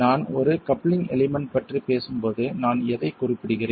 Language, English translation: Tamil, And when I talk of a coupling element, what is that I am referring to